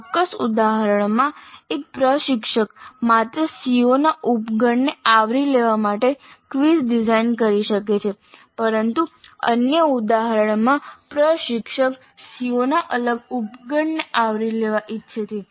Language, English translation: Gujarati, In a specific instant an instructor may design quizzes to cover only a subset of the COs but in another instance the instructor will wish to cover a different subset of COs